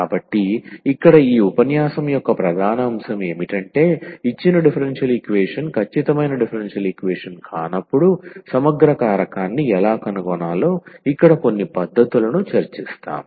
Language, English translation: Telugu, So, here the main topic of this lecture is we will discuss some techniques here how to find integrating factor when a given differential equation is not exact differential equation